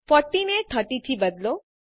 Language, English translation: Gujarati, Change 40 to 30